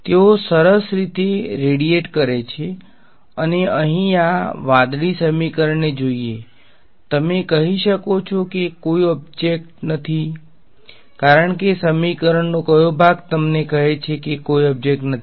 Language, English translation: Gujarati, They are nicely radiating and looking at this blue equation over here, you can tell that there is no object because which part of the equation tells you that there is no object